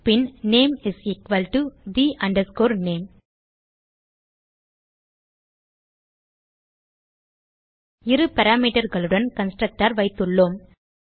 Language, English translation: Tamil, And name is equal to the name So we have a constructor with two parameters